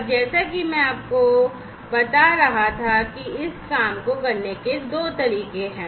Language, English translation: Hindi, And as I was telling you that there are two ways of doing this thing